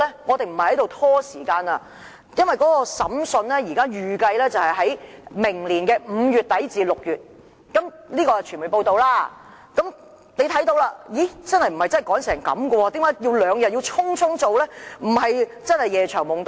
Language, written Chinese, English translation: Cantonese, 我們不是拖延，因為根據傳媒報道，預計審訊會在明年5月底至6月進行，可見真的沒有甚麼急切性，一定要在兩天內匆匆處理，對嗎？, We are not procrastinating because according to media reports the trial is not expected to take place until May or June next year . It is quite clear that the matter is not so urgent that it must be dealt with hurriedly in two days time right?